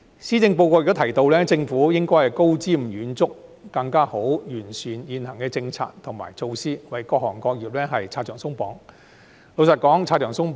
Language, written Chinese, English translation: Cantonese, 施政報告亦提到政府應高瞻遠矚，更好地完善現行的政策及措施，為各行各業拆牆鬆綁。, The Policy Address has also mentioned that the Government should be visionary improve existing policies and measures and remove barriers for our industries